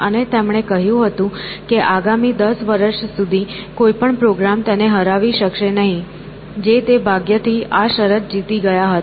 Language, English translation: Gujarati, And, he had said that no program can beat him for the next 10 years which he luckily survived the bet